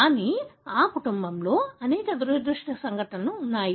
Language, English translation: Telugu, But, there are many unfortunate incidences in this family